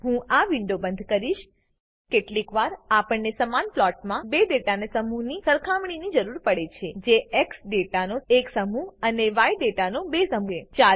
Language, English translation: Gujarati, Sometimes we need to compare two sets of data in the same plot, that is, one set of x data and two sets of y data